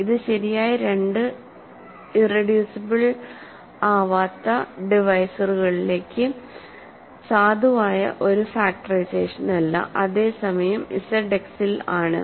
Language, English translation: Malayalam, So, we this is not a valid factorization in to two proper irreducible divisors, whereas, in Z X it is